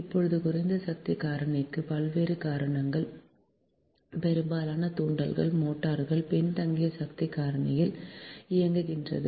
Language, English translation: Tamil, right now, various causes of low power factor: most of the induction motors operate at lagging power factor right